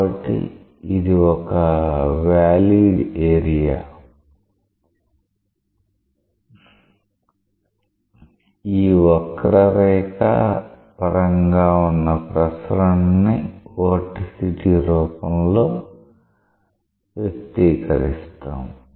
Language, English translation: Telugu, So, this is a valid area and therefore, the circulation about this curve is expressed in terms of the vorticity